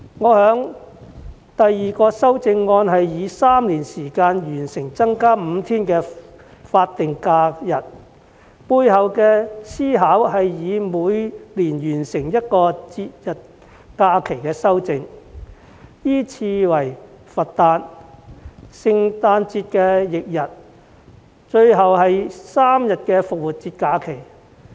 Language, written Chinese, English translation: Cantonese, 我的第二項擬議修正案是以3年完成增加5天法定假日，背後的思考是每年完成一項節日假期的修訂，依次為佛誕、聖誕節翌日及最後是3天復活節假期。, My second proposed amendment was to achieve the increment of five days of SH in three years time . The rationale behind this proposal is to achieve one amendment on festive holidays every year in the sequence of the Birthday of the Buddha the day following Christmas Day and finally three days of Easter holidays